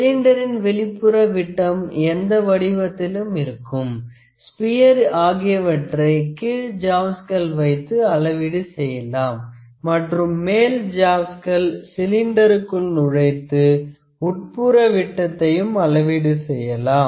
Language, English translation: Tamil, We can measure the external diameter of the cylinders, spheres of any body that we require using the lower jaws and the upper jaws which can be inserted into the cylinder that can be used to measure the internal dia